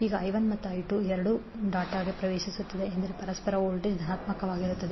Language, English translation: Kannada, Now I 1 and I 2 are both entering the dot means the mutual voltage would be positive